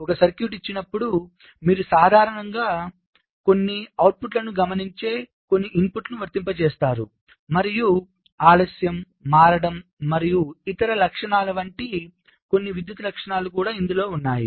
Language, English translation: Telugu, given a circuit, you typically you apply some inputs, you observe some outputs and also there are some electrical characteristics, like the delay, switching and other characteristics also you test